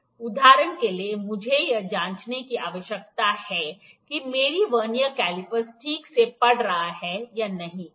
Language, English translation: Hindi, For instance I need to check whether my Vernier caliper is reading exactly or not, ok